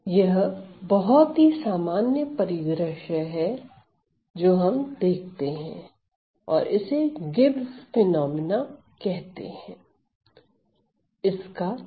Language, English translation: Hindi, So, this is a common scenario that we see and also term it as the Gibbs phenomena ok